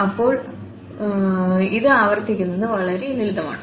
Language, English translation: Malayalam, And now it is much simpler to work with